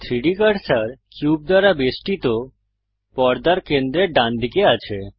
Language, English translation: Bengali, The 3D cursor is right at the centre of the screen surrounded by the cube